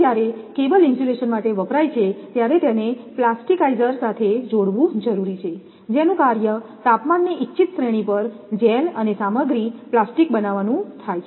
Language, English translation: Gujarati, So, when used for cable insulation, it must be combined with a plasticizer whose function is to form a gel and the material plastic over the desired range of temperature